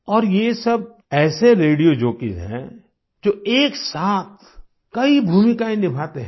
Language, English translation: Hindi, And the radio jockeys are such that they wear multiple hats simultaneously